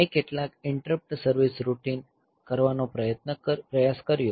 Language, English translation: Gujarati, So, thus tried some interrupt service routine